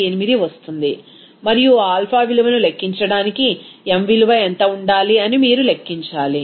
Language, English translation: Telugu, 018 and then you have to calculate what should be the m value there because to calculate that alpha value it is required that m value